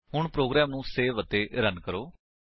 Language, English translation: Punjabi, Now Save and Run the program